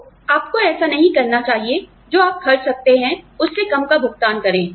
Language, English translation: Hindi, So, you should not be, paying less than, what you can afford